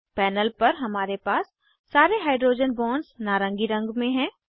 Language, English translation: Hindi, On the panel, we have all the hydrogen bonds in orange color